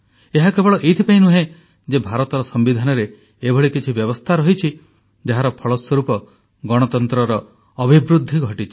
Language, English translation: Odia, And it was not just on account of the fact that the constitution of India has made certain provisions that enabled Democracy to blossom